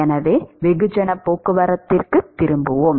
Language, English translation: Tamil, So, let us turn back to mass transport